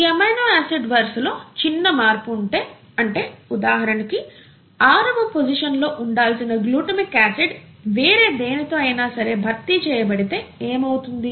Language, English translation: Telugu, If there is a slight change in the amino acid sequence here, for example this glutamic acid, at the sixth position, has been replaced with something else